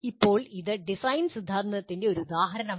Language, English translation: Malayalam, Now, this is one example of design theory